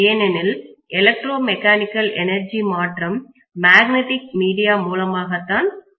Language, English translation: Tamil, So it is converting from electrical energy to mechanical energy through magnetic via media